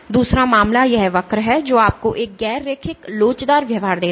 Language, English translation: Hindi, The other case is this curve which gives you a non linear elastic behaviour